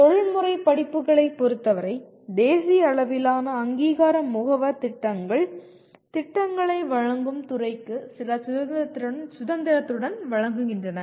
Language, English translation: Tamil, In the case of professional courses, the national level accrediting agencies identify the program outcomes with some freedom given to the department offering the programs